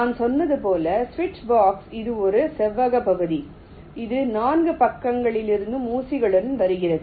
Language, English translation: Tamil, as i said, it's a rectangular region with pins coming from all four sides